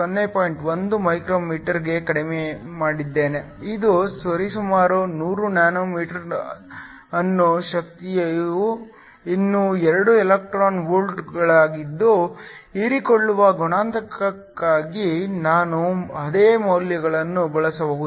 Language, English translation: Kannada, 1 μm, this is approximately 100 nm my energy is still 2 electron volts, so that I can use the same values for the absorption coefficient